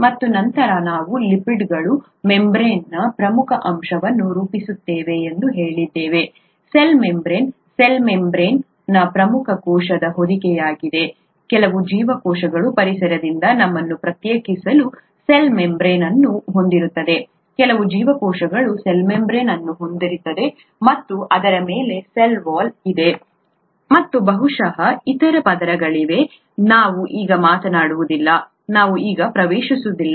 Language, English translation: Kannada, And then we also said that lipids form an important component of the membrane, of the cell membrane, cell membrane is an important cell envelope; some cells have only a cell membrane to distinguish themselves from the environment, some cells have a cell membrane and on top of that a cell wall too, and maybe there are other layers, that we’re not talking about now, (we’re) let’s not get into that